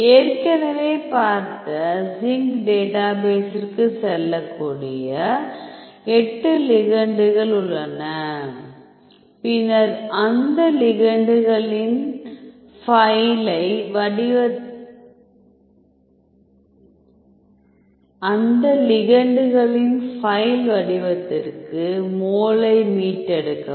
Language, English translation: Tamil, So, already we have seen there are 8 ligands you can go to zinc database, then get the retrieve the mol to file format of those ligands